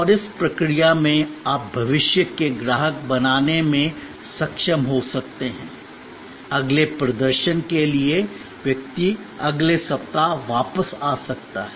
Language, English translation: Hindi, And in the process you may be able to create a future customer, the person may come back next weeks for the next performance